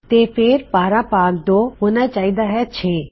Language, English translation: Punjabi, So, 12 divided by 2 should give 6